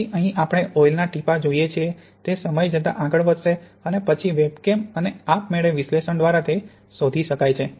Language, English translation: Gujarati, So here we see the oil drops, these will move over time and these can then be detected by the webcam and analyzed automatically